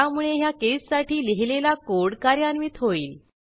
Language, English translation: Marathi, So the code written against this case will be executed